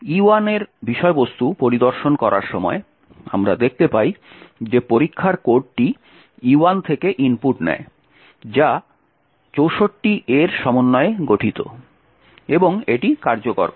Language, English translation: Bengali, Cat E1 and we see what happens here is that test code takes the input from E1 which is 64 A's and executes